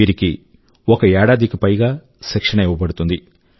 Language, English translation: Telugu, They will be trained for over a year